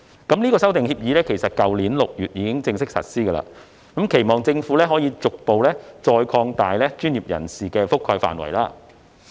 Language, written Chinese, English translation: Cantonese, 該修訂協議已於去年6月1日起正式實施，本人期望政府可逐步擴大專業人士的覆蓋範圍。, Following the official implementation of the Amendment Agreement on 1 June last year I hope the Government can gradually expand its coverage of professionals